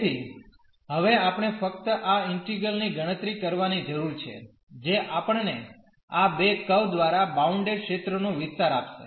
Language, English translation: Gujarati, So, we need to compute simply this integral now, which will give us the area of the region enclosed by these two curves